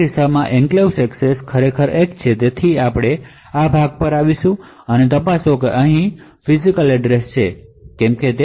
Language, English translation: Gujarati, So in this case the enclave access is indeed 1 so we come to this part of the flow and check a whether the physical address is in the EPC yes